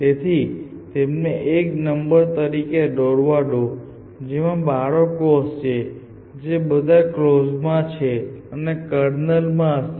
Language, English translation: Gujarati, So, let draw them as a numbers which has children which are all on closed would be the kernel essentially